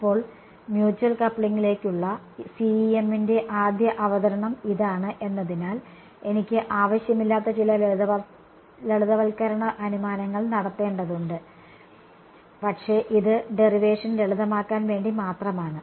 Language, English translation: Malayalam, Now, since this is the very first introduction of CEM to mutual coupling, I need to make some simplifying assumptions which is not required, but it is just to keep the derivation simple